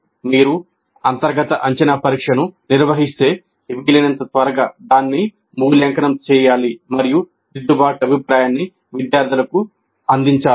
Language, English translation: Telugu, If you conduct an internal assessment test as quickly as possible, it must be evaluated and feedback must be provided to the students, the corrective feedback